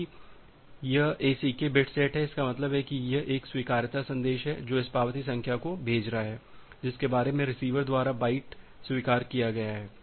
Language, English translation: Hindi, If this ACK bit is set; that means, it is an acknowledgement message which is sending this acknowledgement number about the up to which bytes have been acknowledged by the receiver